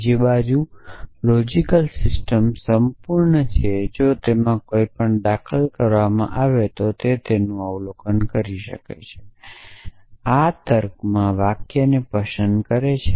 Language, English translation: Gujarati, On the other hand, a logical system is complete if anything that is entailed can be derived observe this also look likes sentences in a logic